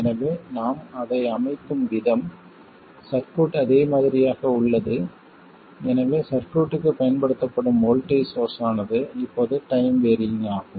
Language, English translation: Tamil, So, the way I have set it up, the circuit is exactly the same, so the voltage source that is applied to the circuit is now time varying